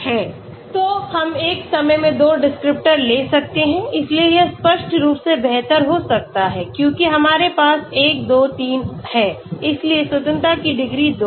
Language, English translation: Hindi, So we can take a 2 descriptors at a time may be so obviously now it is better because we have 1, 2, 3, so degrees of freedom are 2